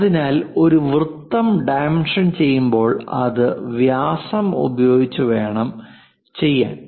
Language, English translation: Malayalam, So, a circle should be dimension by giving its diameter instead of radius is must